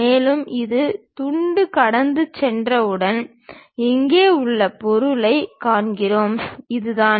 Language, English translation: Tamil, And, once this slice is passing through that we see a material here, that is this